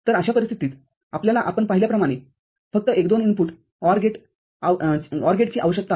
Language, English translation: Marathi, So, in that case, we just need one two input OR gate as we have seen